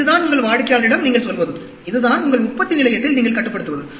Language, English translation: Tamil, This is what you tell your customer, and this is what you control in your manufacturing facility